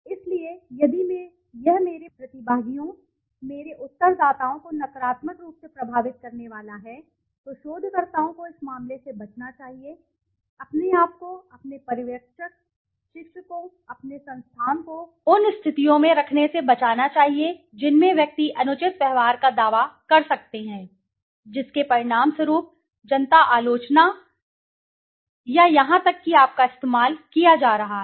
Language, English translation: Hindi, So if it is going to negatively affect my participants, my respondents that is, then researchers should avoid this case, protect yourself, your supervisor, teachers, your institution from being placed in situations in which individuals could make claims of inappropriate behavior resulting in public criticism or even you being sued